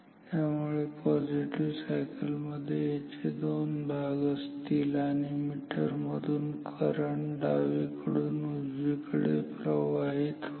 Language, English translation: Marathi, So, it has two parts in the positive cycle and through the meter current is flowing from left to right